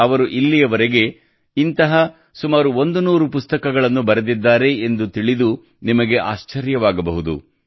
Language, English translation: Kannada, You will be surprised to know that till now he has written around a 100 such books